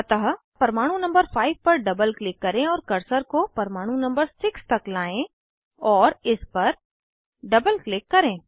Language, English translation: Hindi, So, double click on atom 5 and bring the cursor to atom 6 and double click on it